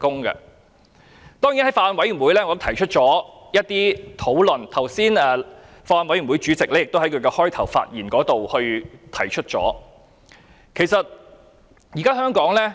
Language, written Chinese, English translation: Cantonese, 我曾在法案委員會提出一些論點，剛才法案委員會主席發言時也提到相關事項。, I had raised some discussion on this issue in the Bills Committee and the Chairman of the Bills Committee also talked about this issue in his earlier speech